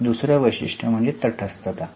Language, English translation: Marathi, The second one is neutrality